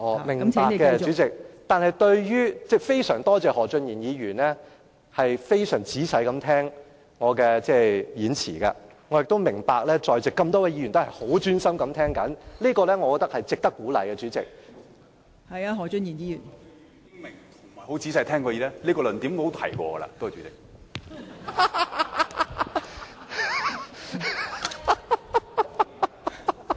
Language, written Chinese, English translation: Cantonese, 明白的，代理主席，我非常多謝何俊賢議員非常仔細聆聽我的發言，我也明白在席多位議員也十分專心地聆聽，代理主席，我認為這是值得鼓勵的......, I understand it Deputy President . I am extremely grateful to Mr Steven HO for listening to me with the greatest attentiveness . I see that many Members in the Chamber are listening to me attentively Deputy President I think this merits encouragement